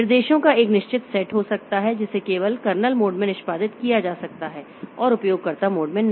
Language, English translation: Hindi, There may be certain set of instructions that can be executed only in the kernel mode and not in the user mode